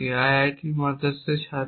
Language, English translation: Bengali, student at IIT Madras